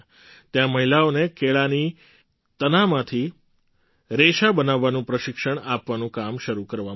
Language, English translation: Gujarati, Here, the work of training women to manufacture fibre from the waste banana stems was started